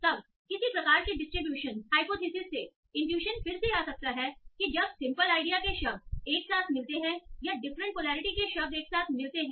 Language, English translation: Hindi, And the intuition can come again from some sort of distribution hypothesis in that when do the words of say the same polarity occur together or how do the words of different polarity occur together